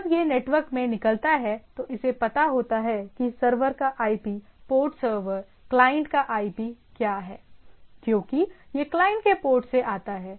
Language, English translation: Hindi, When it goes out this it knows that IP of the server, port server, IP of the client because it coming from where and port of the client